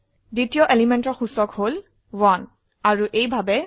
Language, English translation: Assamese, The index of the second element is 1 and so on